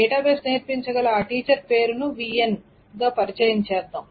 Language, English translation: Telugu, So suppose introduce the name of a teacher VN who can teach database